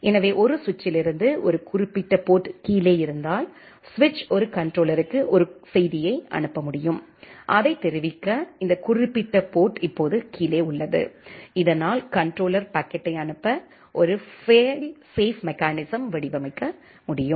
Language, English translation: Tamil, So, if a particular port from a switch is down, the switch can send a message to a controller to let it know, that this particular port is now down; so that the controller can design a fail safe mechanism for forwarding the packet